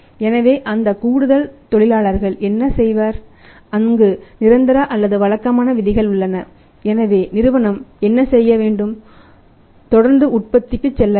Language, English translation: Tamil, So, what that additional work force will do, there on the permanent or the regular rules so what the company had to do you have to continuously go for the production